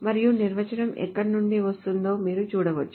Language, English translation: Telugu, And you can see where the definition is coming from